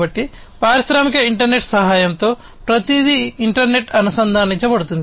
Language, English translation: Telugu, So, with the help of the industrial internet everything will be connected to the internet